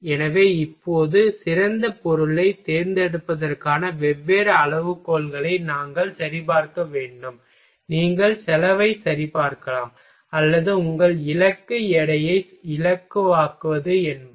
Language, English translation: Tamil, So, now, we will have to check different criteria for selecting the best material either you can check cost or since your goal is to make lighter in weight